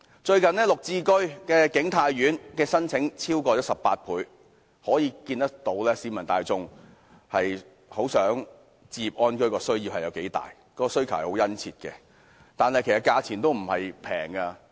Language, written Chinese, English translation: Cantonese, 最近綠置居景泰苑的申請超額18倍，可見市民大眾對置業安居的需求有多殷切，但其實該物業的價格並不低。, Recently King Tai Court developed under the Green Form Subsidised Home Ownership Pilot Scheme was oversubscribed by 18 times well reflecting the general publics keen demand for home ownership . Yet the price of King Tai Court flats is not low